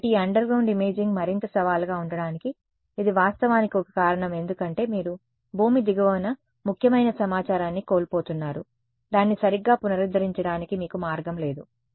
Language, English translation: Telugu, So, this is actually one of the reasons why this underground imaging is even more challenging because you are losing important information below the ground, there is no way for you to recover it right